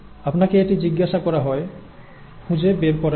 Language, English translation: Bengali, That is what you are asked to find